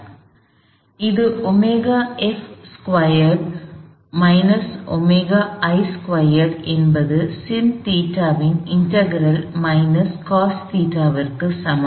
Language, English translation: Tamil, So, this is omega f squared minus omega I squared is equal to the integral of sin theta is minus cos theta